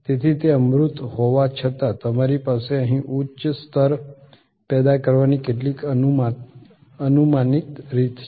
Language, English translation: Gujarati, So, that even though they are intangible you have some predictable way of generating a higher level here